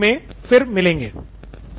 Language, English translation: Hindi, See you in the next module then